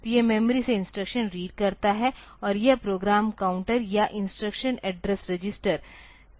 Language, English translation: Hindi, So, it reads the instruction from the memory and it will increment the program counter or instruction address register